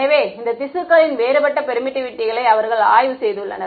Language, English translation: Tamil, So, they have studied the permittivity of these tissues